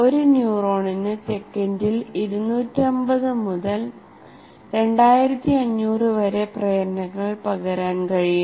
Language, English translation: Malayalam, A neuron can transmit between 250 to 2,500 impulses per second